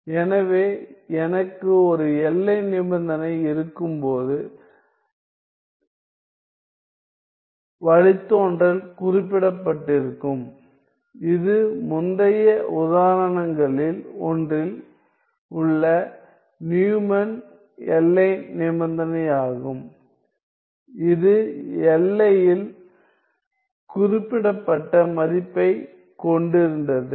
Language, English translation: Tamil, So, when I have a boundary condition in which the derivative is specified that is the Neumann boundary condition in one of the previous examples we had the value specified at the boundary